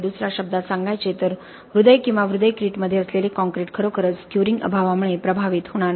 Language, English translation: Marathi, In other words the concrete which is in the heart or heart crete is not really going to be effected by the lack of curing, okay